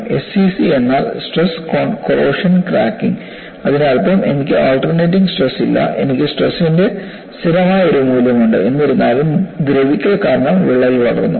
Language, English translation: Malayalam, SCC means stress corrosion cracking; that means, I do not have alternating stress; I have a constant value of stress; nevertheless, because of corrosion, the crack has grown